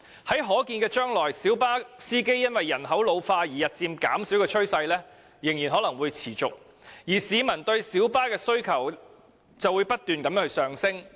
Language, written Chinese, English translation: Cantonese, 在可見的將來，小巴司機因為人口老化而日漸減少的趨勢將仍然會持續，但市民對小巴的需求卻不斷上升。, In the foreseeable future the trend of a decreasing number of light bus drivers will continue due to ageing while the public demand for light bus services will be on the increase